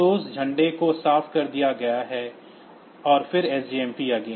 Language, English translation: Hindi, So, that flag is cleared and then SJMP again